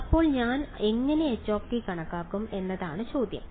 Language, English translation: Malayalam, So, the question is how would I calculate h